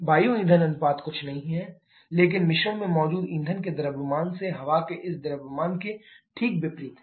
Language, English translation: Hindi, Air fuel ratio is nothing, but just the opposite of this mass of air by mass of fuel present in a mixture